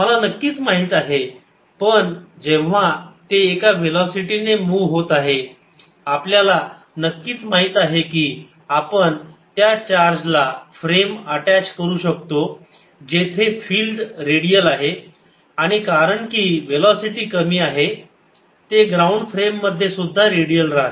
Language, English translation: Marathi, i cartinly no, because when it moving a velocity we have certainly know that i can attach a frame to the charge in which the field is radial and since velocity small, it remains redial in a ground frame